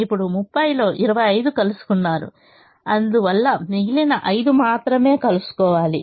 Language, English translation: Telugu, now twenty five out of the thirty has been met and therefore only remaining five has to be met